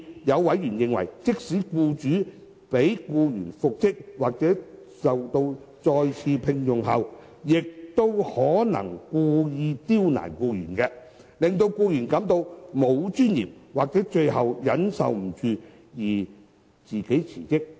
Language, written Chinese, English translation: Cantonese, 有委員甚至認為，即使僱主將僱員復職或再次聘用，亦可能故意刁難僱員，令僱員感到沒有尊嚴或最後忍受不住而自行辭職。, Some members have even suggested that even the employee is reinstated or re - engaged the employer may still deliberately create difficulties for the employee . In the end the employee will resign on his or her own initiative over the loss of dignity or suffering beyond endurance